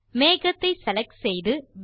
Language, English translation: Tamil, The cloud has been copied